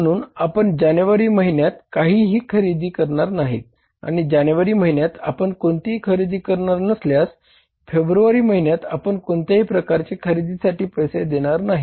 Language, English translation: Marathi, So we are not going to purchase anything in the month of January and when you are not going to purchase anything in the month of January you are not going to pay for any kind of purchases in the month of February